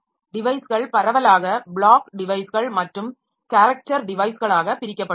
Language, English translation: Tamil, Devices are broadly divided into block devices and character devices